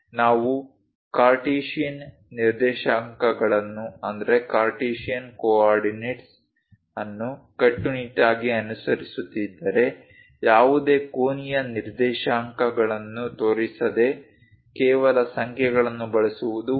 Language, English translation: Kannada, If we are strictly following Cartesian coordinates, it's better to use just numbers without showing any angular coordinate